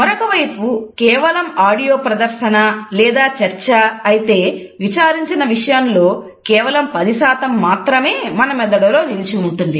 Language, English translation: Telugu, On the other hand if it is only and audio presentation or discussion then we retain perhaps about only 10% of the content which has been discussed